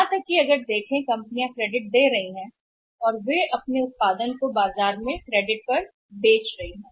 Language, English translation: Hindi, Even if see where the companies are giving even the credit and they are selling their production in the market on the credit